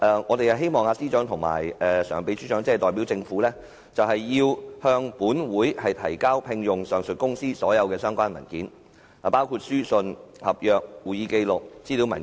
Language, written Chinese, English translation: Cantonese, 我們希望政務司司長和民政事務局常任秘書長代表政府就聘用上述公司向本會提交所有相關文件，包括書信、合約、會議紀錄和資料文件。, We hope that the Chief Secretary and the Permanent Secretary will on behalf of the Government submit to this Council all relevant documents regarding the appointment of the said firm including letters contracts minutes of meetings and information papers